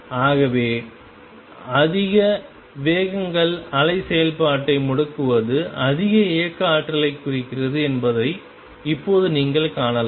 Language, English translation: Tamil, So, you can see right away that more wiggles more turning off the wave function around means higher kinetic energy